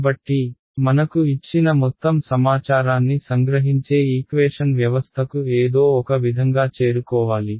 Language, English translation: Telugu, So, we need to somehow arrive at a system of equations which captures all the information that is given to me